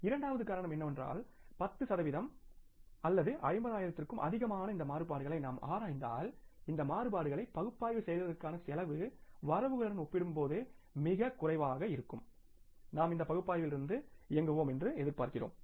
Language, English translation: Tamil, Second reason is that if you analyze these variances which are more than the 10% or 50,000, the cost of analyzing these variances will be much less as compared to the benefits we are expecting to derive from this analysis because variance analysis also has the cost